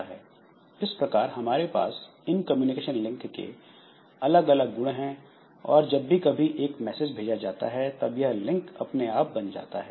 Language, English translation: Hindi, Now, this properties of communication links that we have, so communication links are established automatically